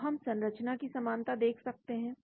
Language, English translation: Hindi, so we can look at the structural similarity